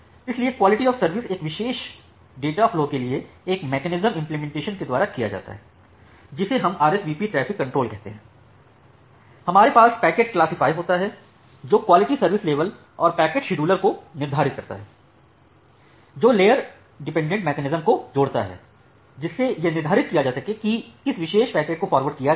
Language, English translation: Hindi, So, quality of service is implemented for a particular data flow by a mechanism that we call as a traffic control in RSVP; we have the packet classifier that determines the quality of service level, and the packet scheduler that link layer dependent mechanism to determine which particular packets are forwarded